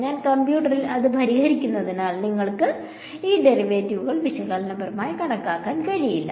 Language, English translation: Malayalam, No well because I am solving it on the computer, I cannot you calculate these derivatives analytically